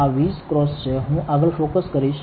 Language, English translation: Gujarati, This is 20x, I will do further focusing